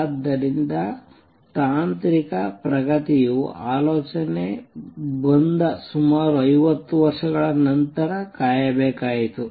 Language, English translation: Kannada, So, technological advancement had to wait about 50 years after the idea came